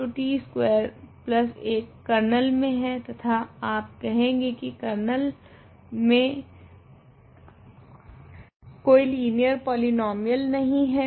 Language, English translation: Hindi, So, t squared plus 1 is in the kernel and you argue that there is no linear polynomial in the kernel